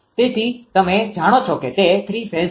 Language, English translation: Gujarati, So, you know that is three phase one